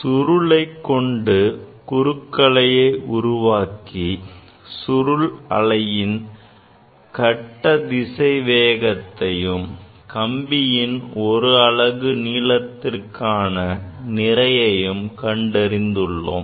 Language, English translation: Tamil, We have demonstrated transverse wave in a string and determined the phase velocity of wave in the string as well as we have determined the mass per unit length of the string